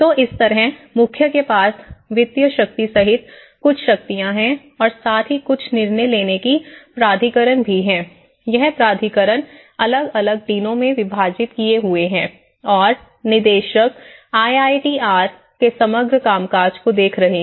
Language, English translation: Hindi, So in that way, head has certain powers including the financial power and as well as certain decision making authority and certain authority has been spitted into these different deans and the director is looking at the overall working of the IITR